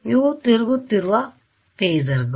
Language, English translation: Kannada, These are phasors that are rotating